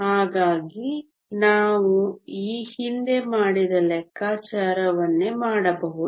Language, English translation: Kannada, So, we can do the same calculation that we did earlier